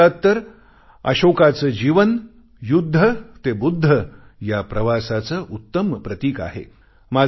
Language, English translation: Marathi, And in India, Ashok's life perfectly epitomizes the transformation from war to enlightenment